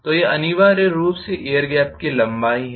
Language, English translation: Hindi, So, that is essentially the length of the air gap itself